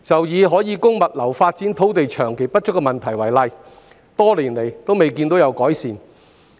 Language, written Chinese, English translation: Cantonese, 以可供物流發展的土地長期不足一事為例，此問題多年來均未見改善。, Take the long - standing acute shortage of sites for logistics development as an example there has been no signs of improvement over the years